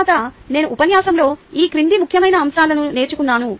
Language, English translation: Telugu, then i learned the following important points in the lecture